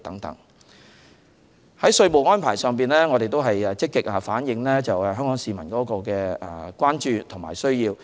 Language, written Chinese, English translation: Cantonese, 在稅務安排上，我們會積極反映香港市民的關注與需要。, Concerning tax arrangements we will proactively reflect the concerns and needs of the Hong Kong people